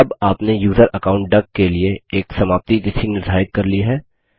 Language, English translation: Hindi, Now you have set an expiry date for the user account duck